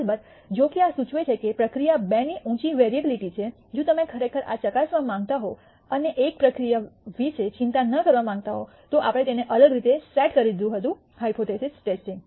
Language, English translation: Gujarati, Of course, although this implies that the process two has a higher variability, if you really wanted to test this and not worry about process one then we had have set it up differently, the hypothesis testing